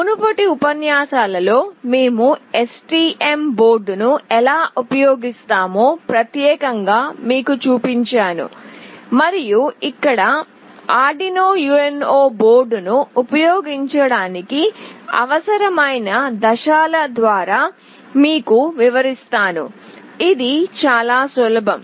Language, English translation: Telugu, In the previous lectures I have specifically shown you how we will be using STM board and here I will take you through the steps that are required to use Arduino UNO board, which is again fairly very straightforward